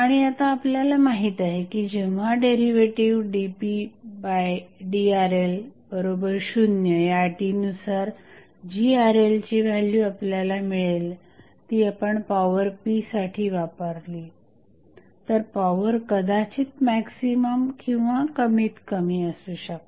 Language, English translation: Marathi, And now, as we know that at the when the derivative dp by dRl is equal to 0 at that condition, the Rl value what we get if you supply that value Rl into the power p, power might be maximum or minimum